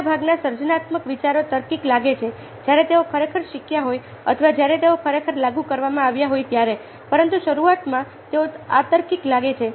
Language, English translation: Gujarati, most creative ideas look logical when they have been actually ah learnt or with when they have actually been applied, but initially they look illogical